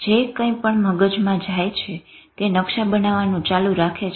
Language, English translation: Gujarati, The brain keeps forming maps of whatever is going on